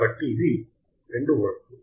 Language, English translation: Telugu, So, it is 2 volts